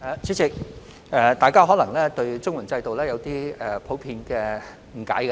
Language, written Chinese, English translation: Cantonese, 主席，大家對綜援制度可能普遍有點誤解。, President there may be a general misunderstanding about the CSSA system